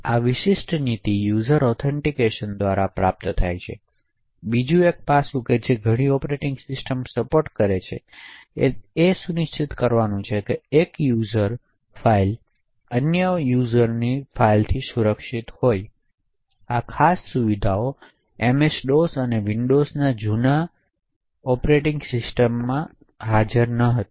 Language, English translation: Gujarati, So this particular policy is achieved by user authentication, another aspect which many operating system support is to ensure that one users file should be protected from the other users, so the prior operating systems such as MS DOS and older versions of Windows do not support these particular features